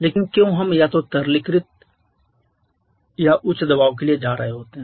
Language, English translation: Hindi, But why we are going either for liquification or to high pressure simply to reduce the volume